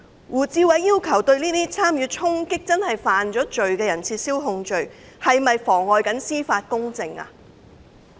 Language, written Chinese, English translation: Cantonese, 胡志偉議員要求撤銷參與衝擊的真正犯罪人士的控罪，是否妨礙司法公正呢？, In asking for the withdrawal of charges against genuine offenders who participated in storming has Mr WU Chi - wai perverted the course of justice?